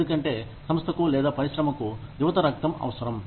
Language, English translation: Telugu, Because, the organization, or the industry, needs younger bloods